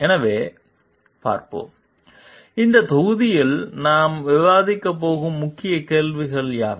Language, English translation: Tamil, So, let us see: what are the key questions that we are going to discuss in this module